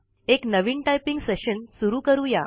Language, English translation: Marathi, Lets begin a new typing session